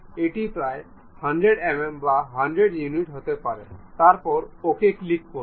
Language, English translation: Bengali, It may be some 100 mm or 100 units, then click ok